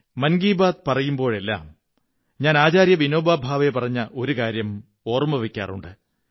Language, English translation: Malayalam, In Mann Ki Baat, I have always remembered one sentence of Acharya Vinoba Bhave